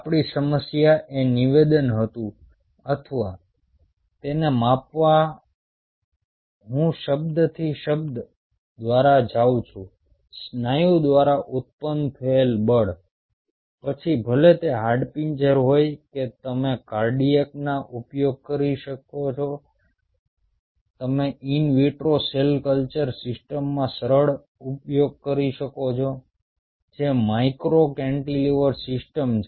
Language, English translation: Gujarati, is statement, our problem is statement was or is measuring i am going by word by word the force generated by muscle, whether its the skeletal, you can use cardiac, you can use smooth, in an in vitro cell culture system, which is a micro cantilever system